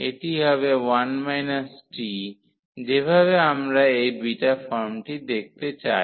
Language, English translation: Bengali, So, this will be 1 minus t which we want to have to see this beta form